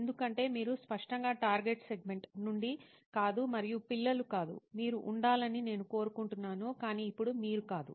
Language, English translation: Telugu, because you are obviously not from the target segment and not children anymore, right I would like you to be but now you are not